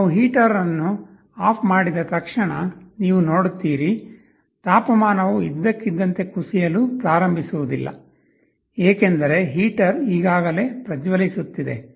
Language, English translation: Kannada, Now you see as soon as we turn off the heater, the temperature suddenly does not start to fall because, heater is already glowing